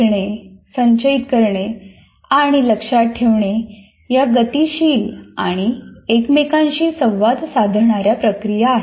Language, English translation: Marathi, And these processors, learning, storing and remembering are dynamic and interactive processes